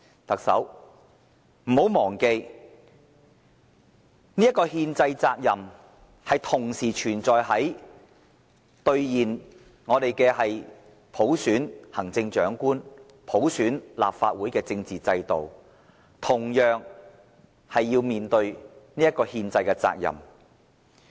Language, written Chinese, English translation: Cantonese, 特首不要忘記，政府同樣要面對兌現普選行政長官和立法會的政治承諾，這一憲制責任。, The Chief Executive should bear in mind that the Government must also honour the political undertaking and tackle the constitutional obligation of electing the Chief Executive and the Legislative Council by universal suffrage